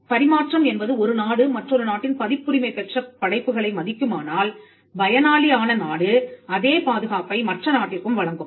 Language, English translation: Tamil, Reciprocity is if one country would respect the copyrighted works of another country, the country which is the beneficiary will also extend the same protection to the other country